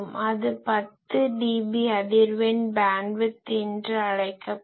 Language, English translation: Tamil, So, that will be called a 10dB frequency bandwidth